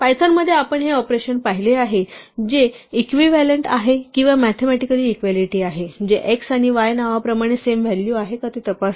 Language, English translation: Marathi, Python has we saw this operation equal to equal to, which is equivalent or the mathematically equality which checks if x and y as names have the same value